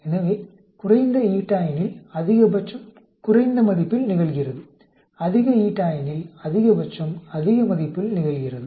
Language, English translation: Tamil, So, lower eta, the maximum occurs at lower value, higher eta maximum occurs at higher value